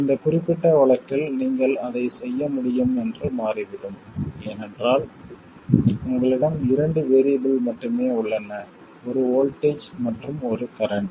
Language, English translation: Tamil, In this particular case it turns out you can do it because you have only two variables, one voltage and one current